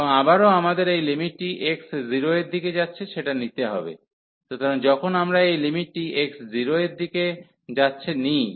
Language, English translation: Bengali, And again we have to take this limit as x approaching to 0, so when we take this limit x approaches to x approaches to 0